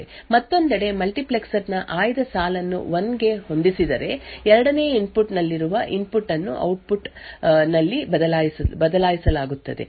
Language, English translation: Kannada, On the other hand, if the select line of the multiplexer is set to 1 then the input present at the 2nd input that is this input would be switched at the output